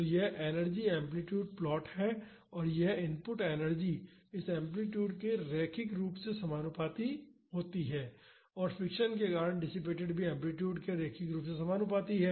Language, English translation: Hindi, So, this is the energy amplitude plot and this input energy is linearly proportional to this amplitude and the energy dissipated due to friction is also linearly proportional to the amplitude